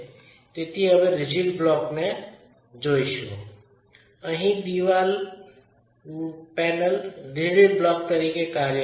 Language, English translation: Gujarati, So, if you were to look at this rigid block now, the wall panel acts like a rigid block